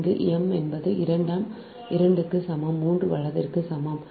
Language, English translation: Tamil, here m is equal to two, n is equal to three, right